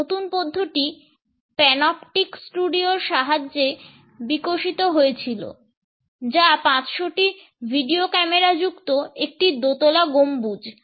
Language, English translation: Bengali, This new method was developed with the help of the panoptic studio, which is a two story dome embedded with 500 video cameras